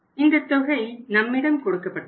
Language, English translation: Tamil, This information is also given to us